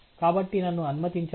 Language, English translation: Telugu, So, let me